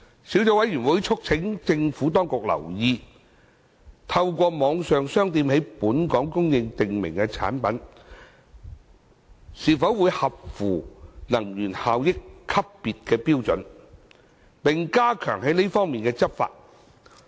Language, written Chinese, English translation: Cantonese, 小組委員會促請政府當局留意透過網上商店在本港供應的訂明產品是否符合能源效益級別標準，並加強這方面的執法。, The Subcommittee has urged the Administration to keep in view whether prescribed products supplied in Hong Kong through online shops are in compliance with the energy efficiency grading standards and to enhance the effectiveness of enforcement actions on this front